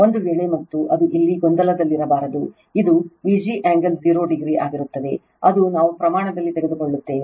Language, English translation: Kannada, If you and it should not be in confusion in here right this will be V g angle 0 degree that we have take in the magnitude